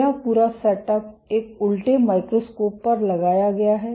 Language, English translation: Hindi, This whole setup is mounted on an inverted microscope